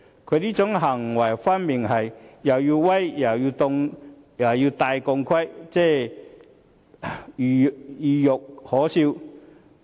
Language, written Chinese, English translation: Cantonese, 他這種行為分明是"又要威又要戴頭盔"，懦弱又可笑。, This is talking hawk and acting chicken . Such an act is cowardly and laughable